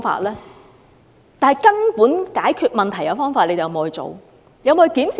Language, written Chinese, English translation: Cantonese, 能根本解決問題的方法，政府有否採用？, Has the Government adopted any measures that can fundamentally solve the problem?